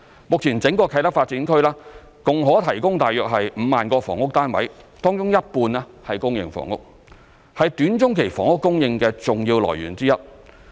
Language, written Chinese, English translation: Cantonese, 目前整個啟德發展區共可提供約5萬個房屋單位，當中一半為公營房屋，是短中期房屋供應的重要來源之一。, At present the entire KTDA can provide a total of about 50 000 housing units half of which are public housing and is an important source of housing supply in the short to medium term